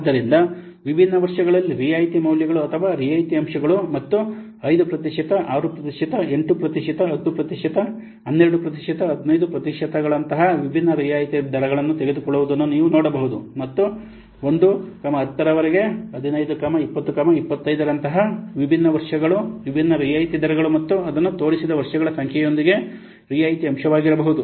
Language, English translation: Kannada, So you can see that the discount values or the discount factors for different years and taking different discount rates like 5%,, 6 percent, 8 percent, 10 percent, 12 percent, 15 percent and different what years like 1 to up to 10, 15, 20, 25, what could be the discount factor with the different discount rates and discount years and the number of years it is shown